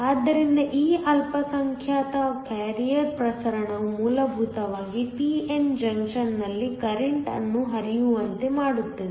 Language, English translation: Kannada, So, It is this minority carrier diffusion that essentially causes current to flow in a p n junction